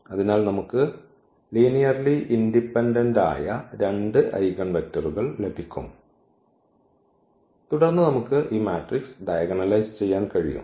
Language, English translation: Malayalam, So, we will get two linearly independent eigenvectors and then we can diagonalize this matrix